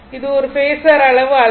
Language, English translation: Tamil, It is not a phasor quantity